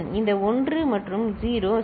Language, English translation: Tamil, This 1 and 0 right